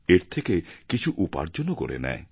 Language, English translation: Bengali, He also earns from this activity